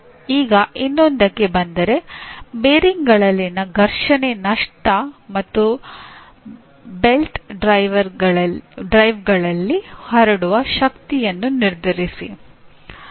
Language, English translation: Kannada, Anyway coming to another one, determine the friction losses in bearings and power transmitted in belt drives